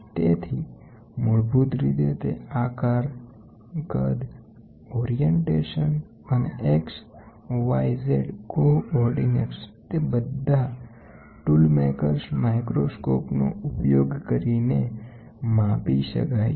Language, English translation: Gujarati, So, basically what it says shape, size, orientation, and X Y Z coordinates can all be measured using this tool maker’s microscope